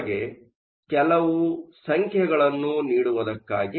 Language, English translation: Kannada, Just to give you some numbers